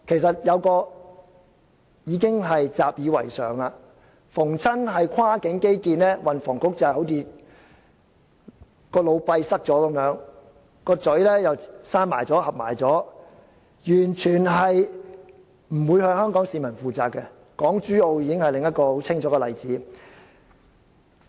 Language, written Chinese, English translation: Cantonese, 這已是習以為常的事，凡是涉及跨境基建，運房局就好像腦閉塞般，又把嘴巴合上，完全不會向香港市民負責，港珠澳大橋已是另一個很清楚的例子。, No one would find it a surprise though because whenever cross - boundary infrastructure is involved the Transport and Housing Bureau will be like suffering an occlusion in its brain while sealing its lips without the least intention to be accountable to the people of Hong Kong . The Hong Kong - Zhuhai - Macao Bridge is another case in point